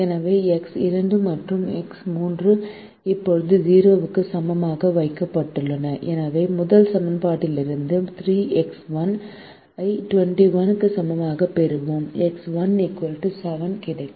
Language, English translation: Tamil, now, when we substitute x two equal to eight in the first equation, we get twenty four plus x three equal to twenty one